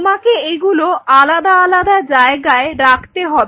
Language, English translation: Bengali, So, you needed to keep them at separate spots